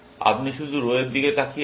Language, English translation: Bengali, You are looking only at the row